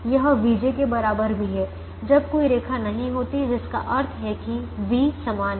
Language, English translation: Hindi, j is equal to v j when there is no line, which means the v's are the same and v